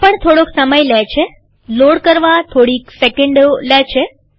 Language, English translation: Gujarati, This also takes a little bit of time, a few seconds to load